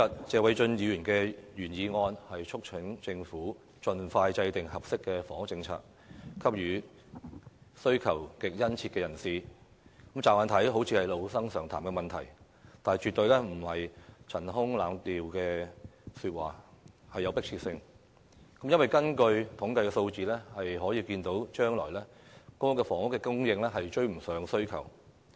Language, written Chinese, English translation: Cantonese, 謝偉俊議員今天的原議案"促請政府盡快制訂合適房屋政策，幫助上述對住屋需求極殷切人士"，看來是老生常談，但卻絕對不是陳腔濫調，而且具有迫切性，因為從統計數字可見，將來公屋的供應量將追不上需求。, Mr Paul TSEs original motion today is to urge the Government to expeditiously formulate an appropriate housing policy to help the aforesaid people who are in desperate need of housing . It seems to be a Sunday - school truth but it is never a cliché . It also has urgency